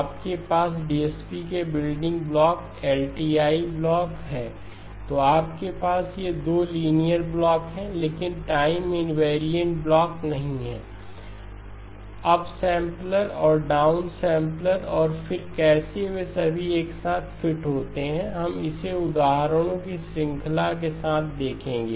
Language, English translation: Hindi, You have the building blocks from DSP, the LTI blocks then you have these 2 linear but not time invariant blocks, the up sampler and the down sampler and then how all of them fit together we will look at it with the series of examples